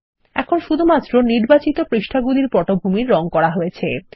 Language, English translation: Bengali, Now only the selected page has a background color